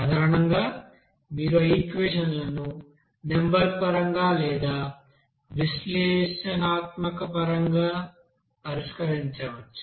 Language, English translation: Telugu, Basically, to solve those equations either you can do numerically or by you know that analytically